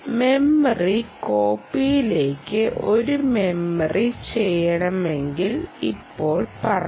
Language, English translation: Malayalam, now let us say you want to do a memory to memory copy